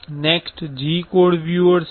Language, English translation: Gujarati, Next, there is a G code viewer